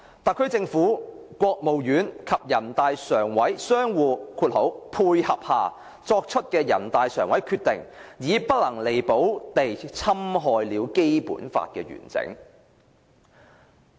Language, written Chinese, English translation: Cantonese, 特區政府、國務院及全國人大常委會相互'配合'下作出的人大常委決定，已不能彌補地侵害了《基本法》的完整。, Through the combined efforts of the HKSAR Government the State Council and the NPCSC in producing NPCSC Co - location Decision the integrity of the Basic Law has now been irreparably breached